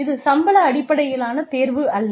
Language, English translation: Tamil, This is not a salary based choice